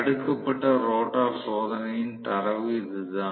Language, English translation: Tamil, This is what was the data of the blocked rotor test